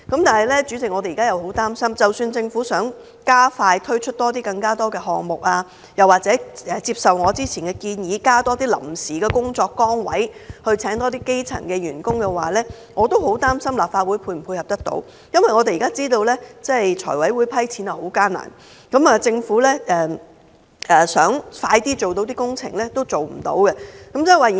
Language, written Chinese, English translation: Cantonese, 但是，主席，即使政府想加快推出更多項目，又或接受我之前的建議，增加臨時工作崗位，聘請更多基層員工，我也很擔憂立法會可否配合，因為財務委員會現在撥款十分困難，即使政府想加快進行工程也不行。, President unfortunately even if the Government is willing to expedite its projects or create additional temporary jobs for grass - roots staff as I have suggested before the Legislative Council may not be able to give the necessary support . That is because funding approval has become a difficult task for the Finance Committee FC and the Governments wish to proceed quickly with its projects cannot be met